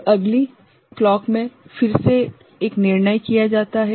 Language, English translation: Hindi, So, next clock again a decision is made right